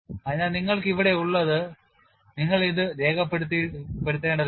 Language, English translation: Malayalam, So, what you have here is you do not have to sketch this